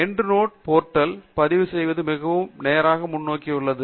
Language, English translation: Tamil, Registering at the End Note portal is also quite straight forward